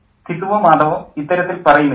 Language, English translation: Malayalam, Gisu or Madov doesn't say this